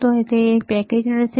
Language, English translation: Gujarati, So, it is a packaged